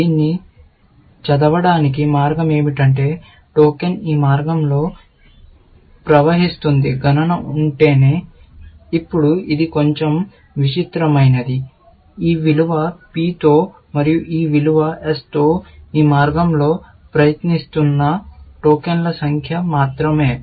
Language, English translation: Telugu, The way to read this is that the token will flow down this path, only if the count; now, this is a bit weird; only the count of the number of tokens, passing down this path, with this value P and with this value S, is 0, essentially